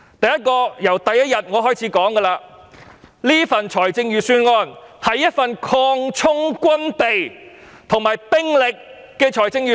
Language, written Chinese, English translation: Cantonese, 第一，我在第一天已經指出，此份預算案是一份擴充軍備及兵力的預算案。, First as I pointed out on the very first day this is a budget which expands the supplies and manpower of the military force